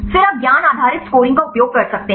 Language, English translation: Hindi, Then you can use a knowledge based scoring